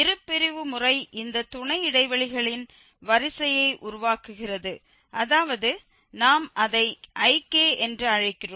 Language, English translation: Tamil, The bisection method generates a sequence of this subintervals that means we are calling it Ik